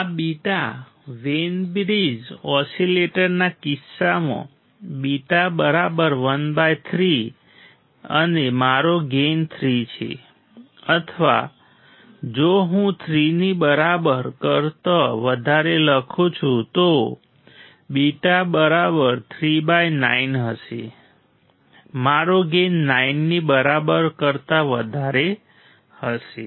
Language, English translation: Gujarati, The beta; beta equals to 1 by 3 in case of Wein bridge oscillator and my gain is 3 or if I write greater than equal to 3, then beta equals to 3 by 9; my gain would be greater than equal to 9